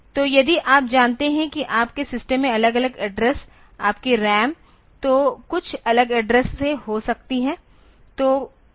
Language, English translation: Hindi, So, if you know that if you know some different address in your system your RAM maybe from some different address